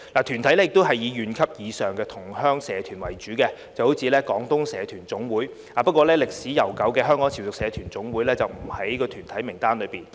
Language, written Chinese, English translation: Cantonese, 團體以縣級或以上的同鄉社團為主，例如香港廣東社團總會，但歷史悠久的香港潮屬社團總會，則不在團體名單上。, Most of the associations are at county level or above such as the Federation of Hong Kong Guangdong Community Organizations but the long - established Federation of Hong Kong Chiu Chow Community Organizations is not on the list of such bodies